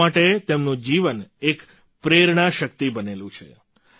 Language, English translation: Gujarati, His life remains an inspirational force for the people